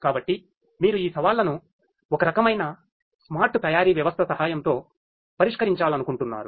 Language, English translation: Telugu, So, you want to address these challenges with the help of some kind of a smart manufacturing system